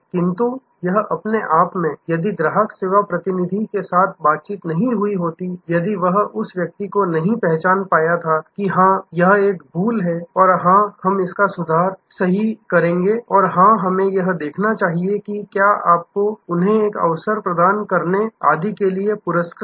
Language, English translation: Hindi, But, this in itself, if there was no interaction that happened with the customer's service representative, if that person had not recognize that, yes it is a lapse and yes, we will set it right and yes, we must see that is are your rewarded and for a bearing with us and etc